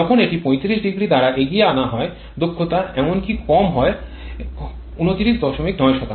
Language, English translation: Bengali, Whereas when it is advanced by 35 degree efficiency is even lower 23